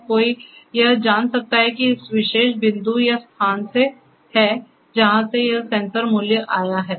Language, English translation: Hindi, So, one can know that this is from this particular point or location from where this sensor value has come